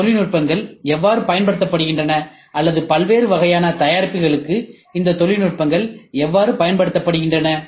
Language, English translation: Tamil, How are these technologies used or for different types of products how are these technologies used